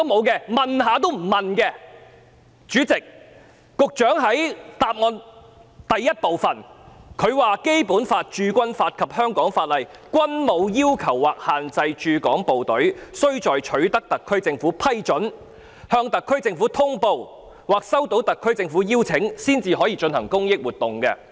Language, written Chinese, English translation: Cantonese, 局長在主體答覆第一部分表示："《基本法》、《駐軍法》及香港法例均無要求或限制駐港部隊須在取得特區政府批准、向特區政府通報或收到特區政府的邀請後，才可進行公益活動"。, In part 1 of the main reply the Secretary pointed out that [i]t is not a requirement nor a restriction under the Basic Law Garrison Law and the laws in Hong Kong for the HK Garrison to seek the approval of the SAR Government notify the SAR Government or receive the invitation from the SAR Government prior to conducting any charitable activities